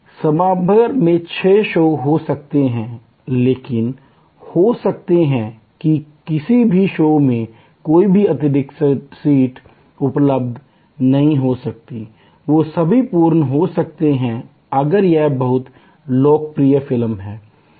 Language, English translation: Hindi, There may be six shows at an auditorium, but there may be none of the shows may have any extra seat available, they may be all full, if it is a very popular movie